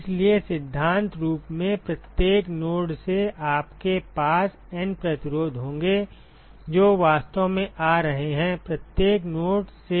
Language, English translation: Hindi, So, in principle from every node you will have N resistances which are actually coming out of every node